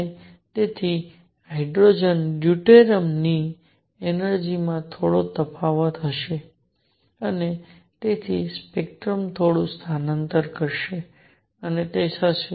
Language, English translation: Gujarati, And therefore, there will be slightly slight difference in the energy of hydrogen deuterium and therefore, spectrum would shift a bit and that would